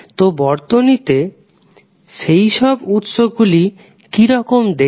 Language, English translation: Bengali, So, how will you see those sources in the circuit